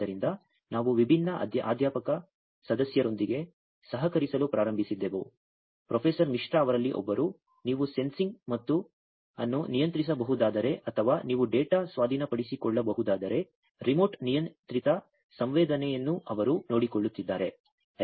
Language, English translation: Kannada, So, we started to collaborate with different faculty members one Professor Misra is one of them that he is taking care of the remotely controlled sensing if you can control the sensing or if you can take the data acquisition